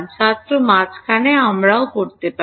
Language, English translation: Bengali, In the middle also we can